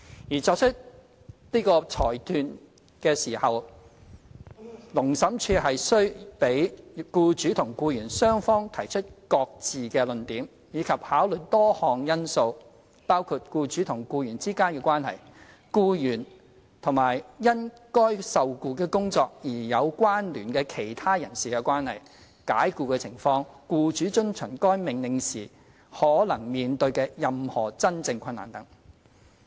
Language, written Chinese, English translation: Cantonese, 而在作出這裁斷時，勞審處須讓僱主與僱員雙方提出各自的論點，以及考慮多項因素，包括僱主與僱員之間的關係、僱員與因該受僱的工作而有關聯的其他人士的關係、解僱的情況、僱主遵從該命令時可能面對的任何真正困難等。, Furthermore before making a finding the Labour Tribunal must give an opportunity to the employer and the employee to present each of their cases and consider a number of factors including the relationship between the employer and the employee; the relationship between the employee and other persons with whom the employee has connection in relation to the employment; the circumstances surrounding the dismissal; and any real difficulty that the employer might face in complying with the order etc